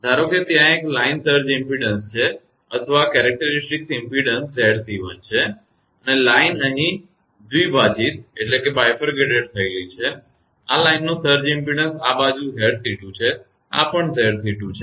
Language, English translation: Gujarati, Suppose there is one line surge impedance or characteristic impedance is Z c 1 and line is bifurcated here and this surge impedance of this line this side is Z c 2, this is also Z c 2